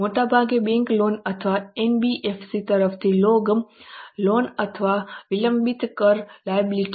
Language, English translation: Gujarati, Mostly bank loans or loans from NBFCs or deferred tax obligations